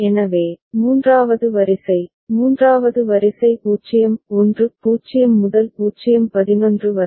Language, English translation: Tamil, So, third row, third row 0 1 0 to 0 11